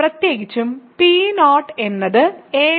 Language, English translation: Malayalam, Similarly, what is P 1